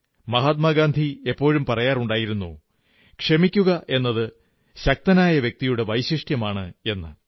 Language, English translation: Malayalam, And Mahatma Gandhi always said, that forgiveness is the quality of great men